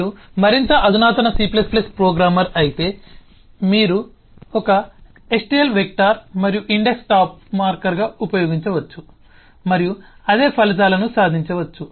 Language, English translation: Telugu, if you are more advanced c plus plus programmer, you could use a stl vector and an index as a top marker and achieve the some same results